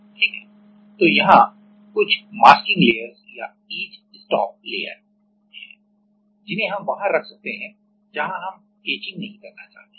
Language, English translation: Hindi, So, there are some masking layers or etch stop layer which we can put where we do not want to etch